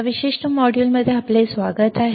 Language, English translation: Marathi, Welcome to this particular module